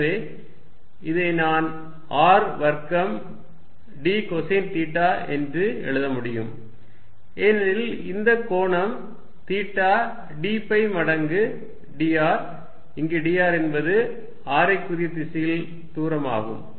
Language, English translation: Tamil, So, I can write this as R square d cosine of theta, because this angle is theta d phi times d r, where d r is this distance along the radial direction